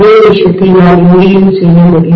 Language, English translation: Tamil, The same thing I should be able to do here also